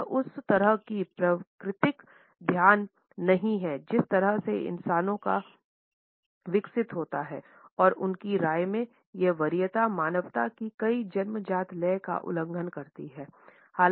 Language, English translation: Hindi, It is not a natural focus of the way human beings have evolved and in his opinion this preference seems to violate many of humanity’s innate rhythms